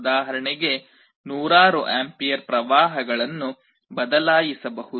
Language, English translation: Kannada, For example, hundreds of amperes of currents can be switched